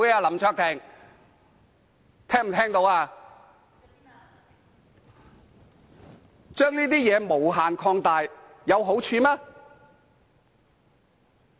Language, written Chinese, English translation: Cantonese, 你將這件事無限擴大，有好處嗎？, Will this excessive exaggeration do you any good?